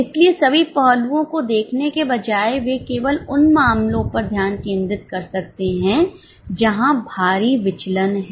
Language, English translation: Hindi, So, instead of looking at all aspects, they can just concentrate on those cases where there are heavy deviations